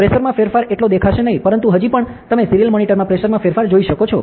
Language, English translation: Gujarati, So, the pressure in change would not be so visible; but still you can see a pressure change in the serial monitor, ok